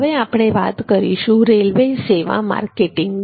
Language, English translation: Gujarati, so coming to the railways service marketing